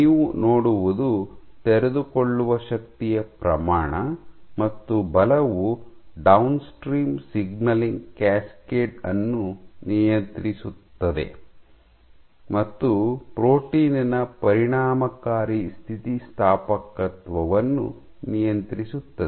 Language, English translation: Kannada, So, what you see is a great increase the amount of unfolding force and forces regulate the downstream signaling cascade as well as the effective elasticity of the protein